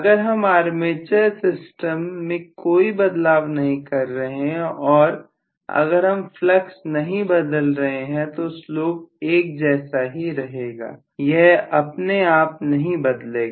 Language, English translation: Hindi, If I am not changing the armature systems and if I am not changing the flux the flow should essentially remain the same, it cannot modify itself